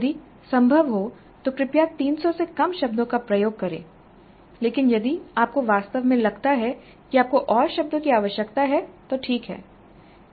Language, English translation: Hindi, If possible please use less than 300 words but if you really feel that you need more, fine